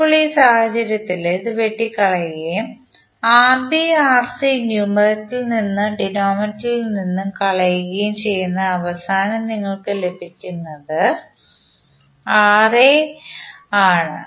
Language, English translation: Malayalam, Now in this case, this will cancel and also it will cancel out Rb Rc from numerator and denominator and finally what you get is Ra